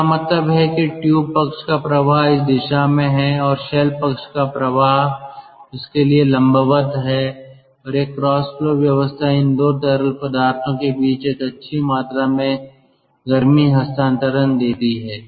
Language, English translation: Hindi, that means the tube side flow is in this direction and the shell side flow is perpendicular to that, and this cross flow arrangement gives a good amount of heat transfer between these two fluids